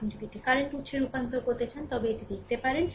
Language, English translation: Bengali, If you want to convert it to current source, later we will see